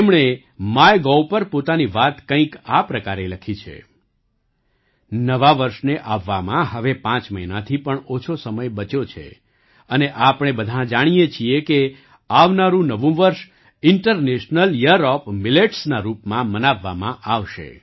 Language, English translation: Gujarati, She has written something like this on MyGov There are less than 5 months left for the New Year to come, and we all know that the ensuing New Year will be celebrated as the International Year of Millets